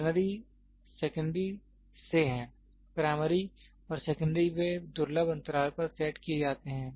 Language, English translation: Hindi, Ternary is from the secondary, primary and secondary rare, they are kept at rare they are set rare intervals